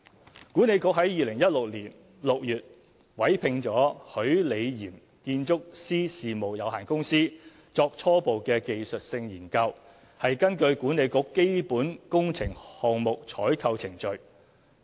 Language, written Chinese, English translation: Cantonese, 西九管理局在2016年6月委聘許李嚴建築師事務有限公司作初步技術性研究，是根據管理局基本工程項目採購程序。, WKCDA appointed Rocco Design Architects Limited in June 2016 to conduct a preliminary technical study in accordance with its procurement procedures of capital projects